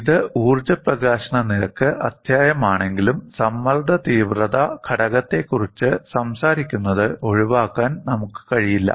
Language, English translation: Malayalam, Though it is the energy release rate chapter, we cannot avoid talking about stress intensity factor